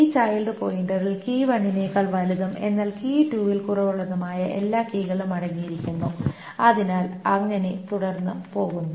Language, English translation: Malayalam, This child pointer contains all the keys that is greater than key one, but less than key two